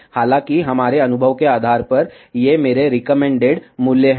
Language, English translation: Hindi, However, based on our experience, these are my recommended values